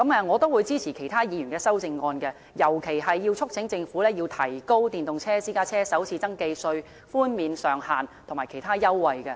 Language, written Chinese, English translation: Cantonese, 我會支持其他議員的修正案，尤其是促請政府提高電動私家車的首次登記稅寬減上限和其他優惠。, I support other Members amendments especially those which urge the Government to raise the cap on the first registration tax concession for EVs and other concessions